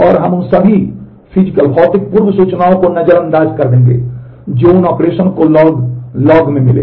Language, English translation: Hindi, And we will ignore all the physical undo information that the operation that that we will find in the log records